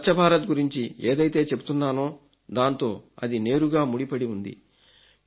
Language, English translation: Telugu, It is directly related to the Swachh Bharat Campaign that I talk about